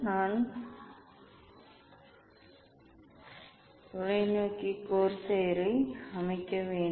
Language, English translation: Tamil, I have to set the telescope corsair on that